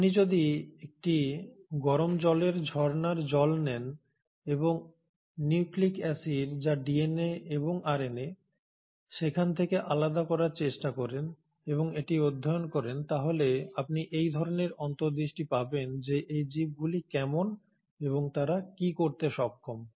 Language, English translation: Bengali, So if you take a hot water spring water and try to isolate nucleic acids which is DNA and RNA from there, and study it, you kind of get an insight into how these organisms are and what they are capable of